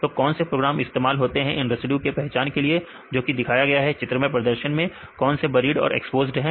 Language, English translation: Hindi, So, what is the program used to identify these residues which are displayed, pictorially represent these buried and exposed residues